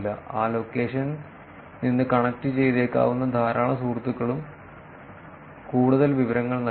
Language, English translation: Malayalam, A lot of friends who may be connected from that location also will not lead a lot of information